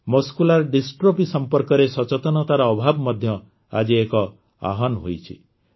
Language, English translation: Odia, A challenge associated with Muscular Dystrophy is also a lack of awareness about it